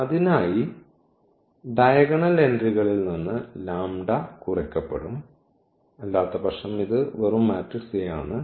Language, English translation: Malayalam, So, here the lambda will be just subtracted from the diagonal entries otherwise this is just the matrix a